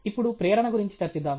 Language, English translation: Telugu, Let’s now discuss about motivation